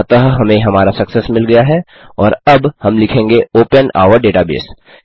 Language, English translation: Hindi, So we have got our Success and now we will say open our database